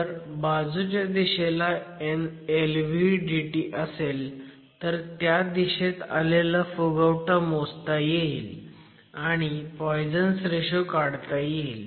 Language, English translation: Marathi, If you have LVDTs in the lateral direction, lateral bulging can also be measured and you can get an estimate of the poisons ratio